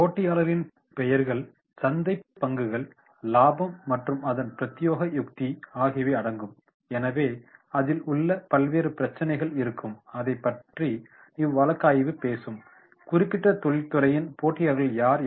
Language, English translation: Tamil, Examples include names of competitors, market shares, profitability and specifics strategy thereof, so therefore they will be, the different issues will be there which will be talking about that is how, who are the competitors of the particular industry